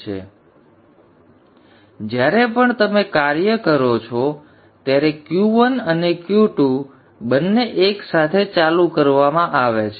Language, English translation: Gujarati, Now whenever you operate both Q1 and Q2 are turned on together